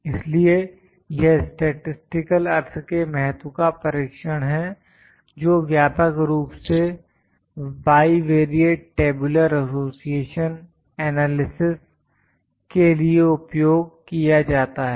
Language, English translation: Hindi, It is a test of statistical signification significance widely used bivariate tabular association analysis